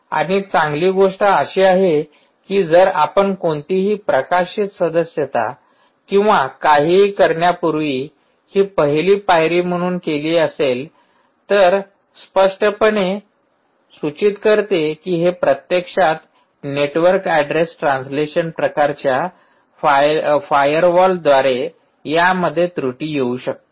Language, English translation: Marathi, and the good thing has is if this is actually done as a first step, before you do any published, published subscribe or anything, it clearly indicates that this can actually pierce through network address translation kind of firewalls